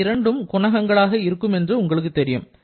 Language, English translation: Tamil, So, you know that these two will be the coefficients